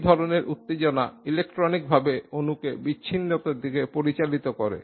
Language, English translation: Bengali, Such excitation electronically lead to dissociation of the molecule